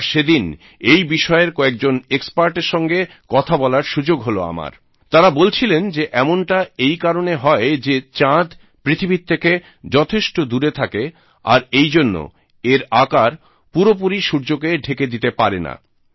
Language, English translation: Bengali, On that day, I had the opportunity to talk to some experts in this field…and they told me, that this is caused due to the fact that the moon is located far away from the earth and hence, it is unable to completely cover the sun